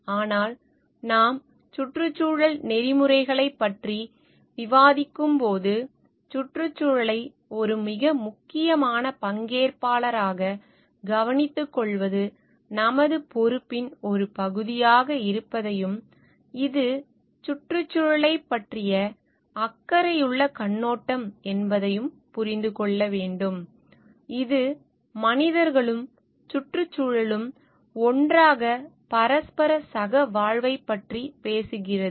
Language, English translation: Tamil, But when we are the do discussing environmental ethics, we need to understand like it is a part of our responsibility to take care of the environment itself as a very important stakeholder and it is a caring perspective towards the environment, it which talks of the mutual coexistence of the human beings and the environment at large together